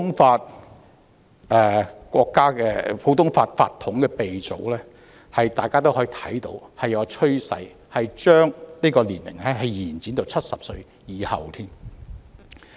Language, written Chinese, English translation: Cantonese, 大家從普通法法統的鼻祖國家可見，將法官退休年齡延展至70歲以上是大勢所趨。, We can see from those countries with a common - law tradition that extending the retirement age for Judges to above 70 has become increasingly inevitable